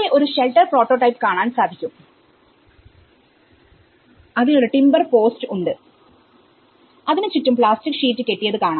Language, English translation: Malayalam, So, that is one of the form which you can see a shelter prototype which has a timber post and as you see plastic sheets has been tied around